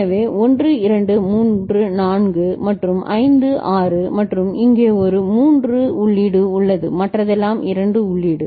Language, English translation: Tamil, So, 1 2 3 4 and 5 6 right, and one point to be noted that here there is a this 3 is 3 input rest all are 2 input